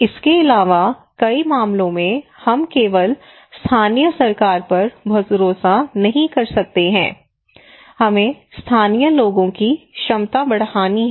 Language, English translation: Hindi, Also in many cases we cannot rely simply on the local government we have to enhance the capacity of the local people